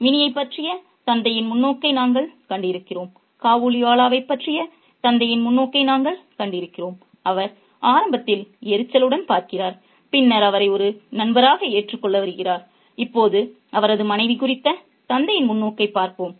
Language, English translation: Tamil, We have seen the father's perspective on Minnie, we have seen the father's perspective on Kabliwala, whom he initially kind of looks at with annoyance and later comes to accept him as a friend for himself